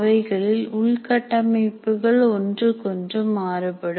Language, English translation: Tamil, The kind of infrastructure that each one has is different